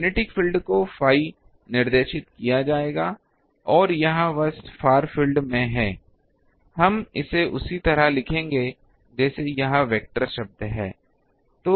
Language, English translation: Hindi, The magnetic field will be phi directed and it is simply in the far field, it will be we can write it in the similar fashion is this is the vector term